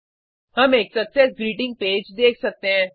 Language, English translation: Hindi, We can see a Success Greeting Page